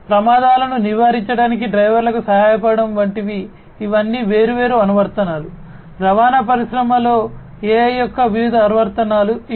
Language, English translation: Telugu, Like this assisting drivers to prevent accidents these are all different applications; these are some of the different applications of use of AI in transportation industry